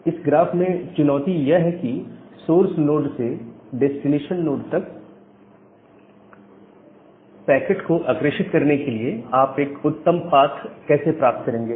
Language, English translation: Hindi, In that particular graph, the challenge comes that how will you find out a good path to forward your data packet from the source node to the destination node